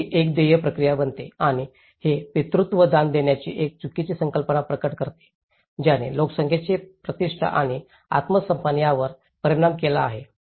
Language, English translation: Marathi, So, it becomes a paid process and this paternalism reveals a mistaken concept of charity, which has created an absolute dependence on donations, affecting the population’s dignity and self esteem